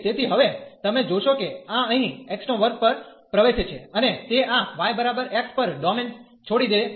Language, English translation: Gujarati, So, now you will see that this enters here at x square and it leaves the domain at this y is equal to x line